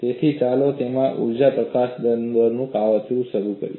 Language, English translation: Gujarati, So, let us start plotting the energy release rate from that